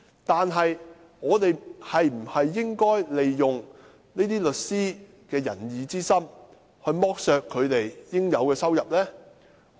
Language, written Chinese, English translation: Cantonese, 不過，我們應否利用這些律師的仁義之心，剝削他們應得的收入呢？, However should we take advantage of the kindness and righteousness of these lawyers and deprive them of the income due to them?